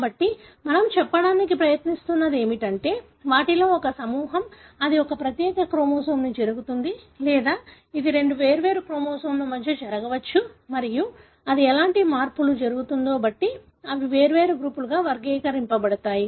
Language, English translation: Telugu, So, what we are trying to say is that one group of them, is that, it happens on one particular chromosome or it can happen between two different chromosomes and depending on what kind of changes it happens, they are classified as different groups